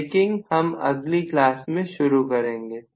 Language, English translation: Hindi, So, we will start up braking in the next class